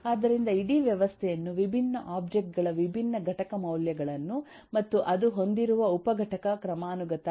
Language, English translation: Kannada, so you can look at the whole system in terms of the different objects, different eh component values it has and what is the sub component hierarchy it has